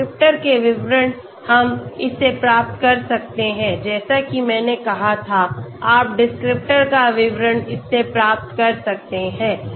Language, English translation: Hindi, The details of the descriptors we can get it as I said you can get the details of the descriptors from this okay